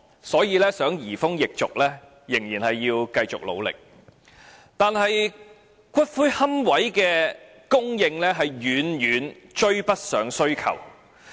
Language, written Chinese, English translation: Cantonese, 所以，如果想移風易俗，仍需繼續努力，但骨灰龕位供應卻遠遠追不上需求。, Thus if the Government wants to bring about changes in customs and traditions more efforts should be made . Nonetheless the supply of niches lags far behind demand